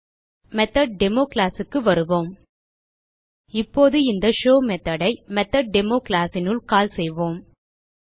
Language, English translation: Tamil, Go back to MethodDemo class Now we will call this show method inside the method MethodDemo class